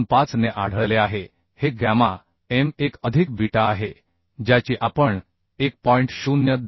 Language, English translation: Marathi, 25 is gamma m1 plus beta we have calculated as 1